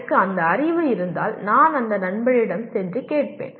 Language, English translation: Tamil, If I have that knowledge I will go to that friend and ask